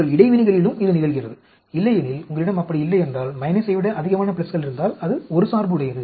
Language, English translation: Tamil, Do you interactions also same thing happen, otherwise if you do not have like that, if you have more pluses than minus, then it is biased